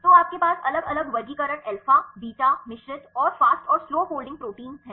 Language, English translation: Hindi, So, you have the different classifications alpha, beta, mixed and the fast and slow folding proteins